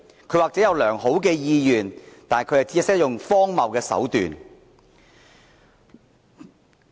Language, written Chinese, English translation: Cantonese, 他或許有良好的意願，但卻只懂得採用荒謬的手段。, Probably he had good intentions yet the means he adopted were ridiculous to the bone